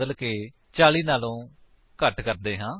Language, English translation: Punjabi, Let us change weight to a value less than 40